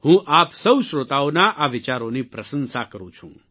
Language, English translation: Gujarati, I appreciate these thoughts of all you listeners